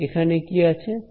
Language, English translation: Bengali, And what do I have over here